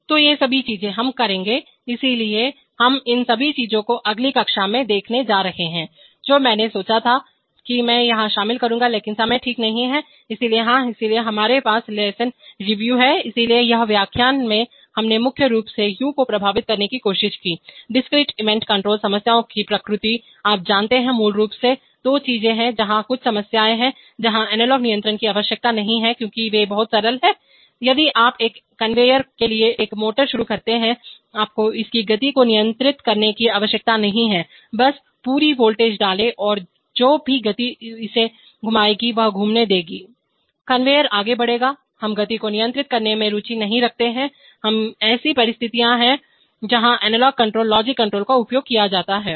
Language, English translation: Hindi, So all these things, we will, so we are going to see all these things in the next class, which I thought I will include here but there is no time okay, so yeah, so we have the lesson review, so what have you seen, so in this lecture we have primarily tried to impress upon u, the nature of discrete event control problems, you know, the, basically two things that there are some problems where analog controls are not required because they are too simple, if you start a motor for a conveyer, you do not need to control its speed just put full voltage, whatever speed it will rotate let it rotate, conveyor will move we are not interested in controlling the speed in an analog manner, these are situations where analog control, logic control is used